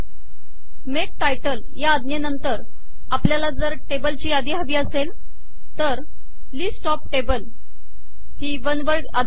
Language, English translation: Marathi, After the make title, suppose we want this list of tables one word, is the command